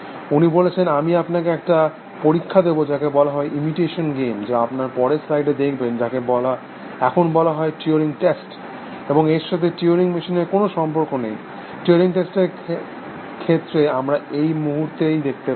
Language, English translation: Bengali, He says I will give you a test, which is called as a imitation game, which we will see in the next slide, which is now known as the turing test, then nothing to do with turing machines, of this he says, about this turing test, we will see in a moment